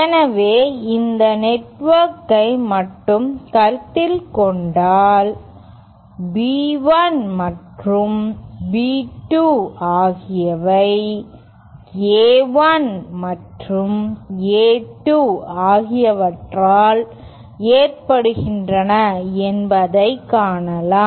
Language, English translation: Tamil, So, we can see that if we consider just this network, then, it is that B1 and B2 are caused by A1 and A2